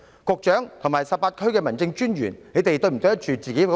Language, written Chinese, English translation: Cantonese, 局長及18區民政事務專員是否對得住自己的薪水？, Do the Secretary and the 18 District Officers deserve their salaries?